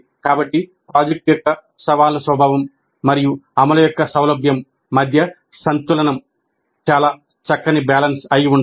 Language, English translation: Telugu, So the balance between the challenging nature of the project and the ease of implementation must be a very fine balance